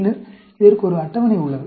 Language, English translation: Tamil, And then, there is a table for this